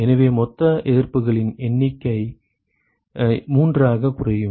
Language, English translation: Tamil, So, therefore, the total number of resistances will boil down to three